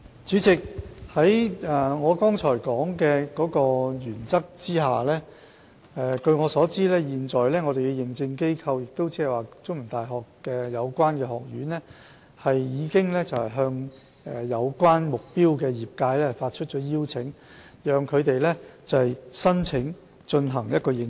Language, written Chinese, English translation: Cantonese, 主席，按照我剛才提及的原則，據我所知，現時認證機構，即中文大學的有關學院，已向目標業界發出邀請，讓他們申請進行認證。, President based on the principle that I have just mentioned and as far as I am aware the Accreditation Agent that is the relevant school of CUHK has invited the target disciplines to apply for certification